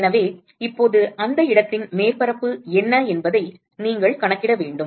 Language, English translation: Tamil, So, now, you will have to account for what is the surface of that location